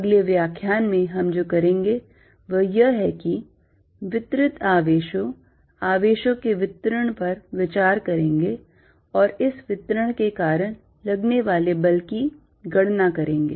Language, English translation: Hindi, What we are going to do in the next lecture is consider distributed charges, distribution of charges and calculate force due to this distribution